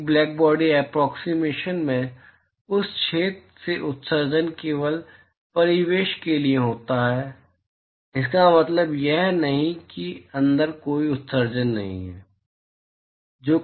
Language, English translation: Hindi, In a blackbody approximation the emission from that hole is only to the surroundings, it does not mean that there is no emission inside